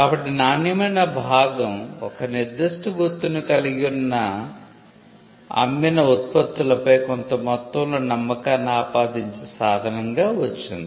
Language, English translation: Telugu, So, the quality part came as a means of attributing a certain amount of trust on the products that were sold bearing a particular mark